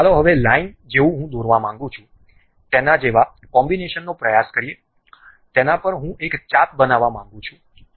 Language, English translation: Gujarati, Now, let us try a combination like a line I would like to draw, on that I would like to construct an arc